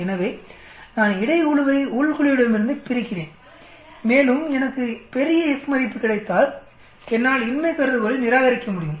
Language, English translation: Tamil, So I divide the between group with within group and if I get large F value, then I will be able to reject the null hypothesis